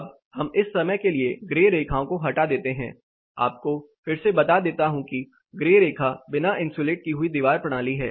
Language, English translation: Hindi, Now for the moment omit the grey lines, again the grey line is an uninsulated wall system